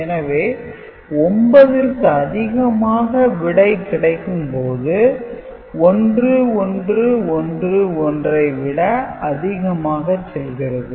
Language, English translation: Tamil, And when it goes beyond 9 go, right and this addition becomes more than you know 1111